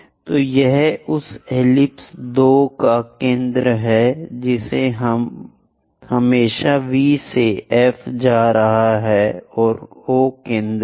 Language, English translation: Hindi, So, this is the centre of that ellipse 2 foci we always be going to have from V to F and O is centre